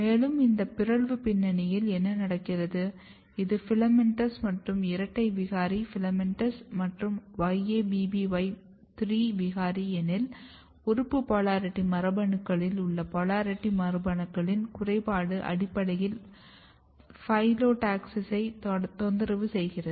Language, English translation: Tamil, And, what happens in this mutant background if you look this is a filamentous and the double mutant filamentous and yabby3 mutants, what you see that the defect in the polarity genes in the organ polarity genes is basically disturbing the phyllotaxis